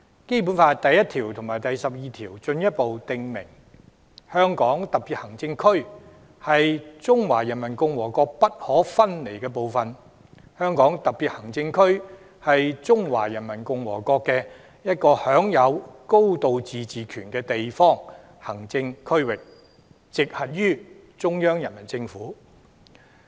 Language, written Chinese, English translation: Cantonese, 《基本法》第一條和第十二條進一步訂明，"香港特別行政區是中華人民共和國不可分離的部分"，"香港特別行政區是中華人民共和國的一個享有高度自治權的地方行政區域，直轄於中央人民政府"。, Articles 1 and 12 of the Basic Law further stipulate that [t]he Hong Kong Special Administrative Region is an inalienable part of the Peoples Republic of China and [t]he Hong Kong Special Administrative Region shall be a local administrative region of the Peoples Republic of China which shall enjoy a high degree of autonomy and come directly under the Central Peoples Government